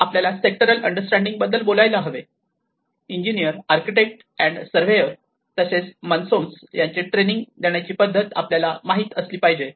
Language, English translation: Marathi, So, we also need to talk about the sectoral understanding, the sectoral training of engineers, architects, and surveyors also the masons you know how to train them